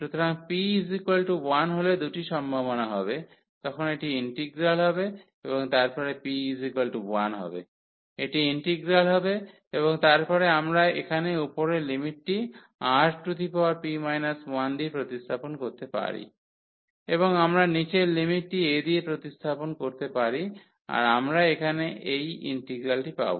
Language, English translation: Bengali, So, there will be two possibilities when p is equal to 1, then this will be the integral and then p is equal to 1, this will be the integral and then we can substitute the upper limit here R power p minus 1 and we can substitute the lower limit as a and we will get this integral here